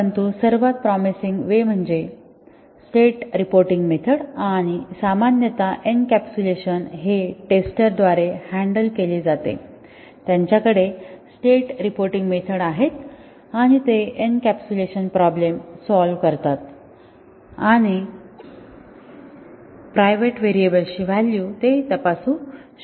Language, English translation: Marathi, But the most promising way is the state reporting methods and normally this is the way encapsulation is handled by the testers, they have state reporting methods and they overcome the encapsulation problem and can check the values of the private variables